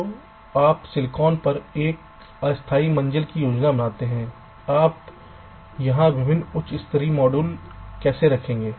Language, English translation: Hindi, so you do a tentative floor plan on the silicon, how you will be placing the different very high level modules here